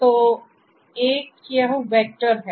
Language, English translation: Hindi, So, one is this vector